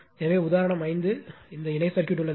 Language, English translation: Tamil, So, example 5 in this case this parallel circuit is there